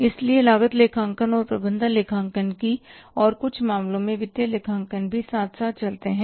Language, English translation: Hindi, So, cost accounting and management accounting and in some cases even the financial accounting goes hand in hand